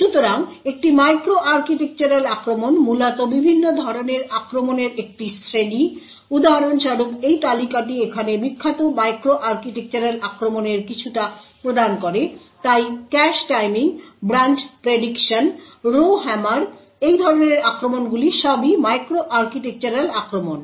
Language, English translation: Bengali, So, a micro architectural attack is essentially a class of different types of attacks for example this list here provides some of the famous micro architectural attacks so the cache timing, branch prediction, row hammer types of attacks are all micro architectural attacks